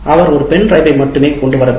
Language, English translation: Tamil, He may bring only a pen drive